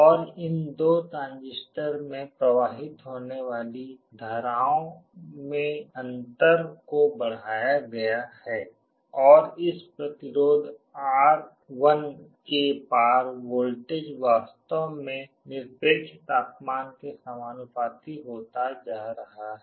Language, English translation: Hindi, And the difference in the currents that are flowing into these two transistors is amplified and the voltage across this resistance R1, is actually becoming proportional to the absolute temperature